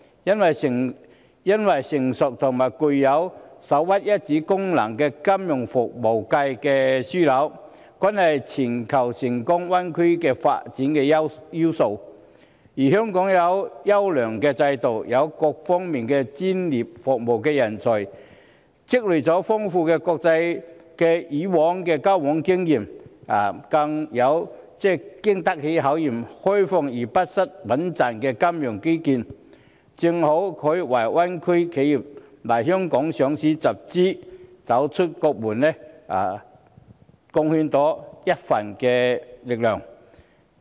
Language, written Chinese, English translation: Cantonese, 因為擁有成熟和首屈一指的金融服務樞紐，是全球灣區發展成功的要素，而香港有優良的制度，也有各方面的專業服務人才，以往亦積累了豐富的國際交往經驗，更有經得起考驗、開放而不失穩健的金融基建，正好可以為大灣區企業來港上市集資或走出國門貢獻一分力量。, Hong Kong possesses an excellent system and professional talents in various fields and has accumulated considerable experience in communicating with the international community over the years . Given our time - tested open and robust financial infrastructure we can make some contribution in helping Greater Bay Area enterprises to get listed and secure financing in Hong Kong or to go global